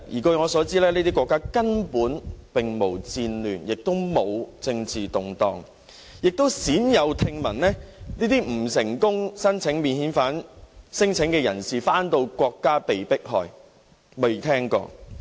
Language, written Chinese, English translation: Cantonese, 據我所知，這些國家根本並無戰亂，亦非政治動盪，我亦鮮有聽聞未能成功申請免遣返的聲請人士在返回祖國後被迫害。, As far as I know there are neither any wars nor politically turbulence in these countries . I have rarely heard that any unsuccessful non - refoulement claims are persecuted after returning to their homelands